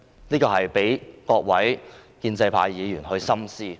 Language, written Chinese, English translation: Cantonese, 這個問題有待各位建制派議員深思。, This is a question for Members of the pro - establishment camp to consider seriously